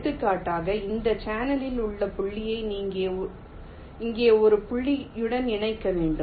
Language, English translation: Tamil, for example, i need to connect ah point here on this channel to a point here